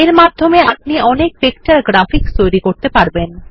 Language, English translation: Bengali, It allows you to create a wide range of vector graphics